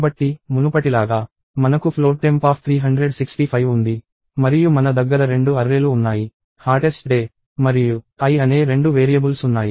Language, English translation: Telugu, So, as before, we have float temp of 365; and I have two arrays – two variables namely, hottest day and i